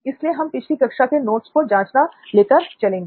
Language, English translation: Hindi, I think verification of previous class’s notes